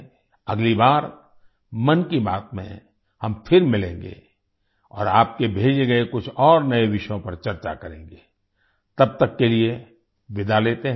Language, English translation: Hindi, Next time in 'Mann Ki Baat' we will meet again and discuss some more new topics sent by you till then let's bid goodbye